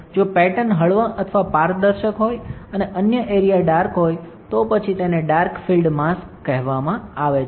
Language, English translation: Gujarati, If the pattern is lighter or transparent, and other areas are dark, then it is called dark field mask